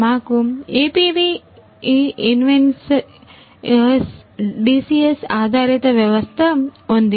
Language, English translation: Telugu, Right We have an APV Invensys DCS based system